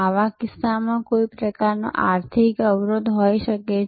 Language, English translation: Gujarati, In such cases, there can be some kind of financial barrier